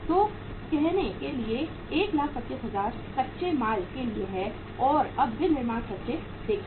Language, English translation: Hindi, So to say 125000 is for the raw material and then now see manufacturing expenses